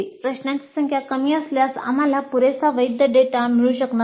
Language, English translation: Marathi, If the length is too small, if the number of questions is too small, we may not get adequate valid data